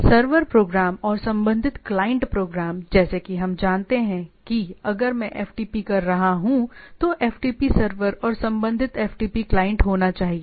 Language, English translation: Hindi, So, there is a server program and corresponding client program right, like we know that there should be if I am doing FTP, there should be a FTP server and corresponding FTP client